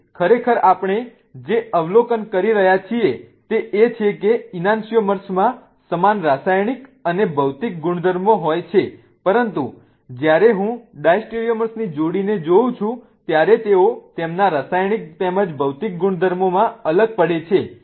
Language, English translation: Gujarati, So, what really what we are observing is that enansomers have the same chemical and physical properties, but when I look at a pair of diastereomers, they differ in their chemical as well as physical properties